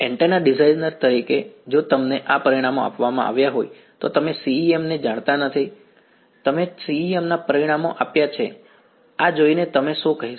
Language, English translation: Gujarati, As an antenna designer if you are given these parameters right you do not know CEM you have given the results of CEM looking at this what will you say